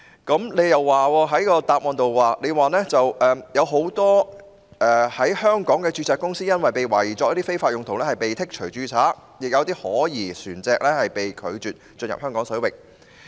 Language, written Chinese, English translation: Cantonese, 局長在主體答覆中指出，很多香港註冊公司因被懷疑用作非法用途而被剔除註冊，亦有可疑船隻被拒進入香港水域。, As pointed out by the Secretary in the main reply quite a number of Hong Kong - registered companies suspected of being used for illegal purposes have been struck off and suspicious vessels have been denied entry into Hong Kong waters